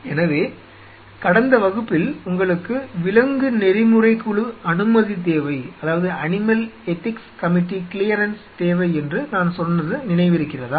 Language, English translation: Tamil, So, you remember in the last class I told you that you needed the animal ethics committee clearance